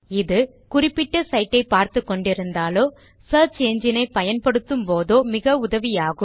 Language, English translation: Tamil, This function is useful when you are browsing from a particular site or a search engine